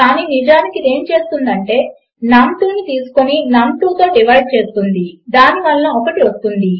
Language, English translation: Telugu, But actually what this does is it takes num2 and divides it by num2 which will give 1 and add num1 to that